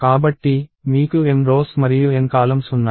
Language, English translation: Telugu, So, you have m rows and n columns